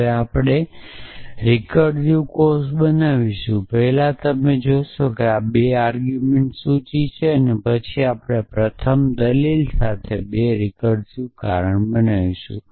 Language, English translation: Gujarati, Now, we will make recursive cause first you see that this is a list of 2 arguments then we will make 2 recursive cause one with the first argument